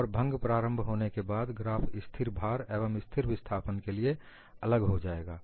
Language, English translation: Hindi, And after the fracture initiation, the graphs would be different for constant load and constant displacement